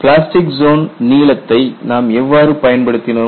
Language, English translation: Tamil, How we have utilized the plastic zone length